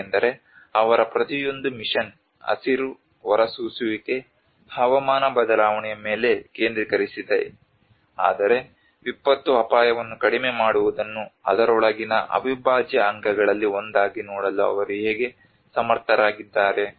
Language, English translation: Kannada, Because their each mission is focused on the green emissions, on climate change, in but how they are able to see the disaster risk reduction as one of the integral component within it